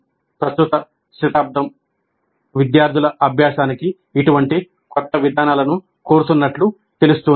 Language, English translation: Telugu, The present century seems to demand such novel approaches to student learning